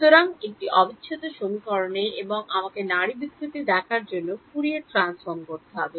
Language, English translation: Bengali, So, in a integral equation and I have to do Fourier transform to look at pulse distortion